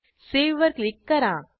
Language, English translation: Marathi, Now click on Save button